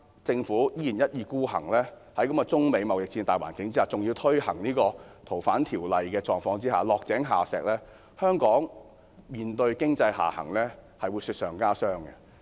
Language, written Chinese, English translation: Cantonese, 在貿易戰的大環境之下，政府現時依然一意孤行修訂《逃犯條例》，我很擔心這做法是落井下石，香港面對經濟下行的狀況將會雪上加霜。, Under the general atmosphere of the trade war the Government still insists on amending the Fugitive Offenders Ordinance . I am very worried that this move will add misfortunes to Hong Kong people and make matters worse for Hong Kong in the midst of economic decline